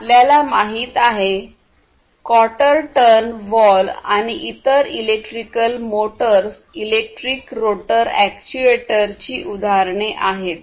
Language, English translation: Marathi, So, you know quarter turn valves, and different different other electrical motors for example: these are all examples of electric rotor actuator